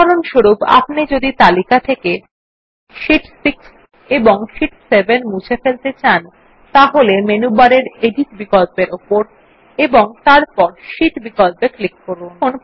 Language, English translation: Bengali, For example if we want to delete Sheet 6 and Sheet 7from the list, click on the Edit option in the menu bar and then click on the Sheet option